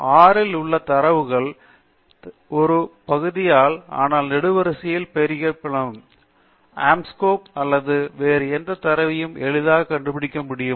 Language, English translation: Tamil, A data frame in R is nothing but a matrix of data, but with the columns labeled, and the labels of Anscombe or any other data frame can be easily found